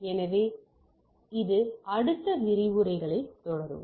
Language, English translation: Tamil, So, that in subsequent lectures in this